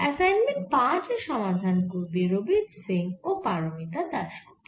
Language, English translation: Bengali, assignment number five will be solved by mr rabeeth singh and miss parmita dass gupta